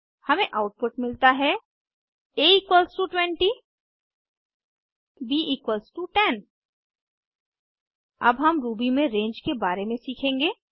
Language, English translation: Hindi, We get the output as a=20 b=10 We will now learn about range in Ruby